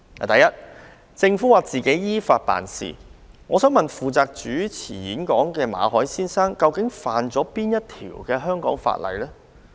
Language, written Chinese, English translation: Cantonese, 第一，政府指當局只是依法辦事。負責主持演講的馬凱先生，究竟觸犯哪條香港法例？, Firstly while the Government claims that the authorities have acted in accordance with the law which law of Hong Kong has been broken by Mr MALLET the host of the talk?